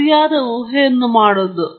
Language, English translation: Kannada, And making the right assumptions